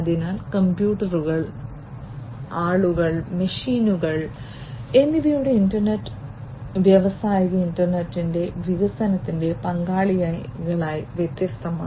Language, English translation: Malayalam, So, internet of things computers, people, machines all together are different participate participants in the development of the industrial internet